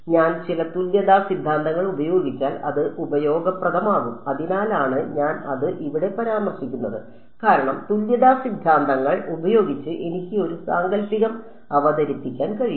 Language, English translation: Malayalam, It may be useful if I use some of the equivalence theorems that is why I am mentioning it over here because by using equivalence theorems I can introduce a fictitious